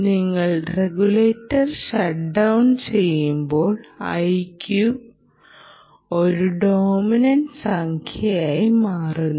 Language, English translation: Malayalam, at that time, when you shut down the regulator, this i q starts becoming a dominant, dominant number